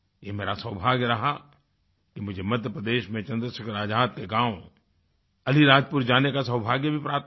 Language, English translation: Hindi, It was my privilege and good fortune that I had the opportunity of going to Chandrasekhar Azad's native village of Alirajpur in Madhya Pradesh